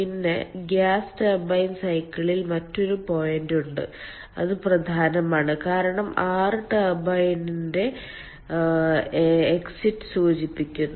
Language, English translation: Malayalam, then there is another point on the ah gas turbine cycle which is important because ah six denotes the exit of the turbine